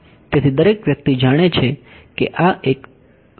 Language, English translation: Gujarati, So, this everyone knows is a physical phenomena right